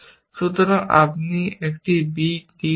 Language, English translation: Bengali, So, you would get a b d